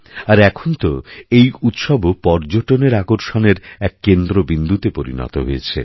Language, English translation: Bengali, Our festivals are now becoming great attractions for tourism